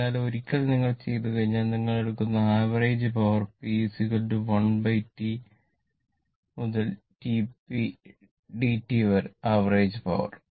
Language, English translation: Malayalam, So, once if you done then the, so the average power you take p is equal to 1 upon T 0 to T what you call p dt right, the average power